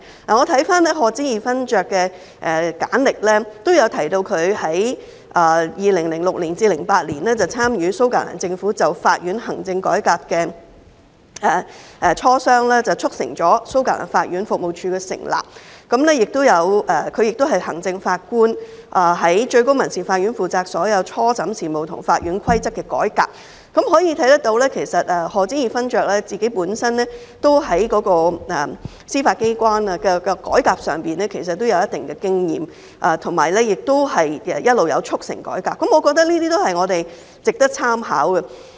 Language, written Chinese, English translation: Cantonese, 我翻看賀知義勳爵的簡歷，提到他在2006年至2008年期間參與蘇格蘭政府就法院行政改革的磋商，促成了蘇格蘭法院服務處的成立；他亦是行政法官，在最高民事法院負責所有初審事務和法院規則的改革，可見賀知義勳爵本身在司法機關的改革上具有一定的經驗，以及一直有促成改革，我認為這些都是我們值得參考的。, It mentioned that from 2006 to 2008 he was involved in the negotiation with the Scottish Government of the reform of the administration of the courts which led to the establishment of the Scottish Courts Service . He was also the Administrative Judge responsible for all first instance business in the Court of Session and the reform of the Rules of Court . It thus shows that Lord HODGE has considerable experience in reforming the judiciary and has all along facilitated such reform